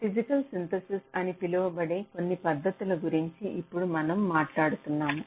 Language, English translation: Telugu, so we now talk about some of the techniques for so called physical synthesis